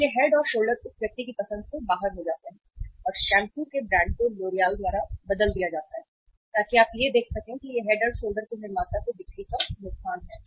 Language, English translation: Hindi, So Head and Shoulder is gone out of that person’s choice and that brand of the shampoo is replaced by the L'Oreal so you see it is a loss of the sale to the manufacturer of the Head and Shoulder